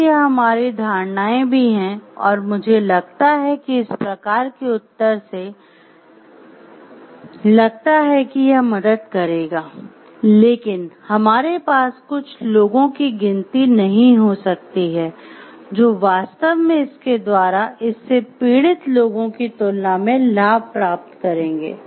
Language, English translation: Hindi, So, in that maybe our assumptions also I think type of answer we think that it will help, but we may not have a count of the total people who will truly get benefits by it and with comparison to the people who are suffering for it